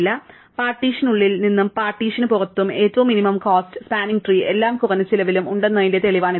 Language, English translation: Malayalam, So, this is a proof that the smallest cost edge from inside the partition to outside the partition must lie in every minimum cost spanning tree